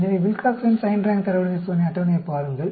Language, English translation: Tamil, So, look at the Wilcoxon Signed Rank Test table